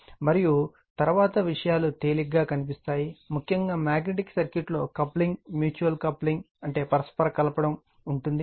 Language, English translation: Telugu, And next we will find things are easy, particularly in magnetic circuit with coupling right, so mutual coupling